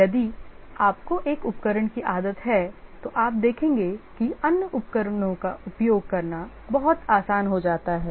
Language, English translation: Hindi, If you get used to one tool you will see that it becomes very easy to use the other tools